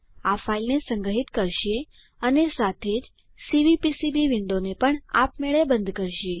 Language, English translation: Gujarati, This will save the file and also close the Cvpcb window automatically